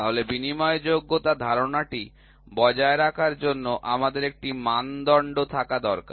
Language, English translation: Bengali, So, for maintaining the interchangeability concept we need to have a standard